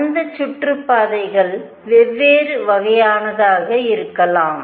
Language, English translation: Tamil, That orbits could be of different kinds